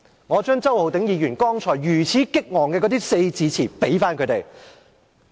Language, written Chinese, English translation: Cantonese, 我將周浩鼎議員剛才激昂萬分的四字詞回贈他們。, I will apply Mr Holden CHOWs colloquial phrases to them in return